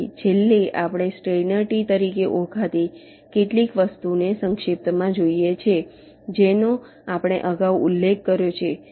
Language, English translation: Gujarati, so, lastly, we look at very briefly some something called steiner trees, which we mentioned earlier